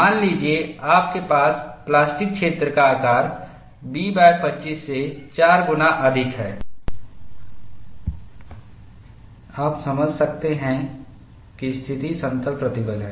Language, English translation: Hindi, Suppose, you have the plastic zone size is greater than 4 times B by 25, you could idealize that, the situation is plane stress